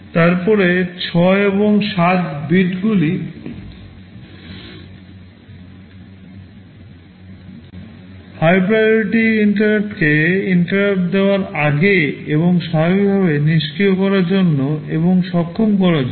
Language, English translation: Bengali, Then bits 6 and 7 are for enabling and disabling the high priority interrupt and the normal prior to interrupt